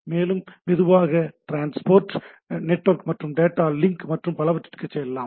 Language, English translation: Tamil, And slowly go into the transport and network and data link and so on and so forth right